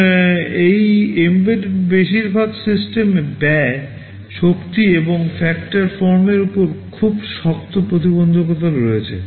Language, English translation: Bengali, And for most of these embedded systems there are very tight constraints on cost, energy and also form factor